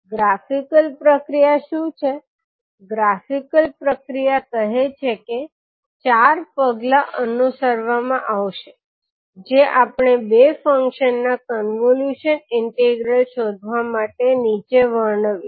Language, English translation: Gujarati, What is the graphical procedure, graphical procedure says that the four steps which we are describing below will be followed to find out the convolution integral of two functions